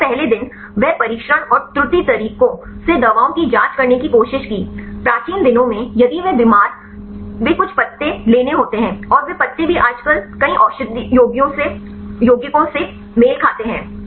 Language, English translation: Hindi, Earlier days they tried to check the drugs by trial and error methods, in ancient days if they are sick they take some leaves right and they eat some of the leaves even nowadays right many medicinal compounds right